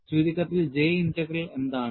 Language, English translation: Malayalam, And what is the J Integral